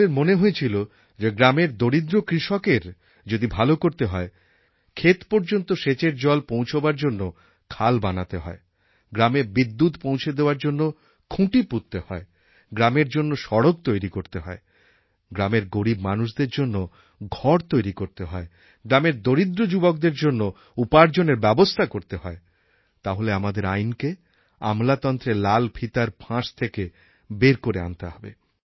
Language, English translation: Bengali, Everyone felt that if the welfare of the farmers is to be achieved, if the water has to reach the fields, if poles are to be erected to provide electricity, if roads have to be constructed in the village, if houses are to be made for the poor in the village, if employment opportunities are to be provided to the poor youth of rural areas then we have to free the land from legal hassles and bureaucratic hurdles